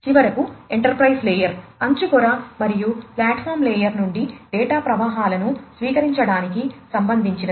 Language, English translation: Telugu, And finally, the enterprise layer concerns receiving data flows from the edge layer and the platform layer